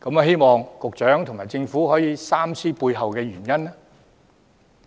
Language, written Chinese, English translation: Cantonese, 希望局長和政府三思背後的原因。, I hope that the Secretary and the Government will rethink about the underlying reasons